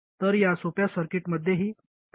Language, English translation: Marathi, So there is feedback in this simple circuit as well